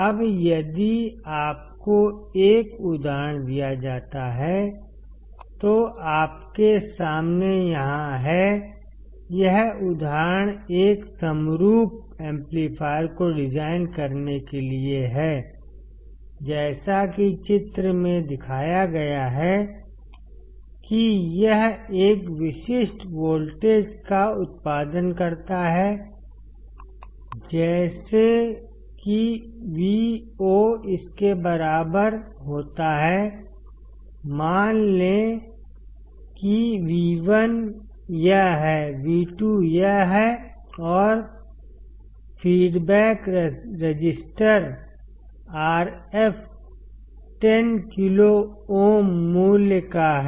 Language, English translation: Hindi, Now, if you are given an example which is over here in front of you; this example is to design a summing amplifier as shown in figure to produce a specific voltage such that Vo equals to this; assume that V1 is this, V2 is this and feedback register RF is of 10 kilo ohm value